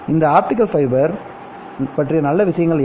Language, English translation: Tamil, What are the good things about this optical fiber